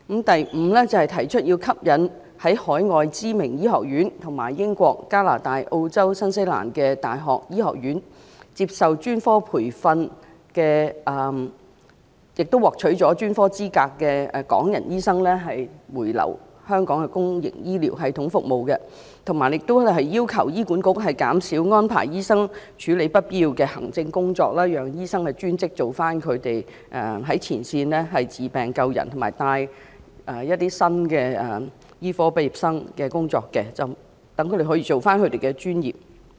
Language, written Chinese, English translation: Cantonese, 第五，吸引在海外知名醫學院和英國、加拿大、澳洲及新西蘭的大學醫學院接受專科培訓，並獲取專科資格的港人醫生回流到香港的公營醫療系統服務，以及要求醫院管理局減少安排醫生處理不必要的行政工作，讓專職的醫生做回他們的前線工作，包括治病救人及指導新醫科畢業生的工作，讓他們可以做回自己的專業工作。, Fifthly Hong Kong people with specialist training in renowned medical schools overseas and medical faculties of universities in the United Kingdom UK Canada Australia and New Zealand should be encouraged to return to Hong Kong and serve in the public healthcare system and the Hospital Authority HA should be requested to reduce the deployment of doctors to handle unnecessary administrative work so that they can focus on their intrinsic duty of providing healthcare services including engaging in frontline work involving the treatment of patients and giving guidance to medical school fresh graduates